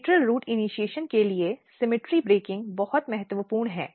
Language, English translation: Hindi, The symmetry breaking is very important for lateral root initiation